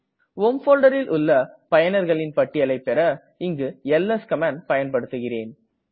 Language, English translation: Tamil, To show the list of users in the home folder this command is used